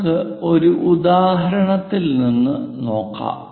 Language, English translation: Malayalam, Let us begin with one example